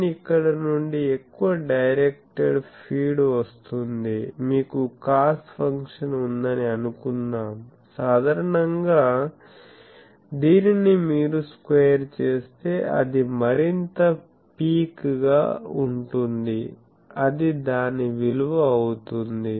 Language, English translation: Telugu, n is, n come from here that more directed feed, cos function you are making suppose you have a cos function is generally these, but if you square it will be more picky that will the value will be this sorry